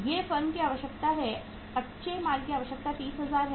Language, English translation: Hindi, These are requirement of the firm, raw material requirement is say 30,000